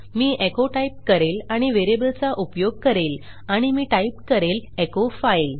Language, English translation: Marathi, Then Ill say echo and use the variable and Ill say echo file